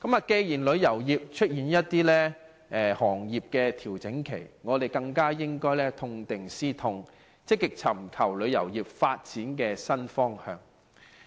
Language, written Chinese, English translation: Cantonese, 既然旅遊業出現調整，我們更應痛定思痛，積極尋求旅遊業發展的新方向。, In view of the consolidation of the tourism industry we must learn a lesson from this bitter experience and proactively explore a new direction for the development of tourism